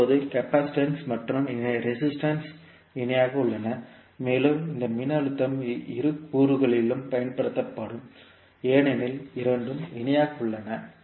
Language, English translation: Tamil, Now the capacitance and resistance are in parallel and this voltage would be applied across both of the components because both are in parallel